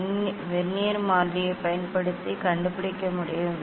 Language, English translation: Tamil, using the Vernier constant one can find out